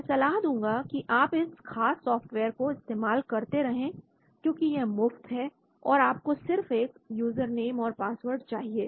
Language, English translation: Hindi, I suggest that you keep playing around with this particular software and because it is free and you just have to get a username, password